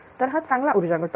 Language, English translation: Marathi, So, it is a good power factor